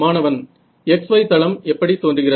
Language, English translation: Tamil, What does the x y plane look like